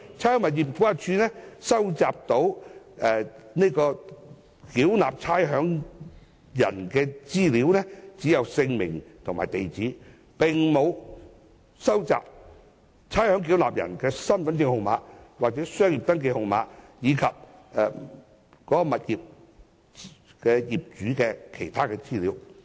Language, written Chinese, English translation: Cantonese, 差餉物業估價署能夠收集的差餉繳納人資料就只有姓名和地址，而沒有身份證號碼、商業登記證號碼及物業業主的資料。, RVD collects information on the names and mailing addresses of the ratepayers but not their Hong Kong Identity Card numbers the Business Registration numbers or information of the owners of the tenements